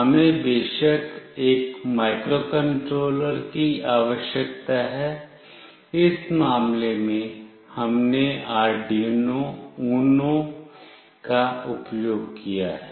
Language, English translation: Hindi, We of course require a microcontroller; in this case we have used the Arduino UNO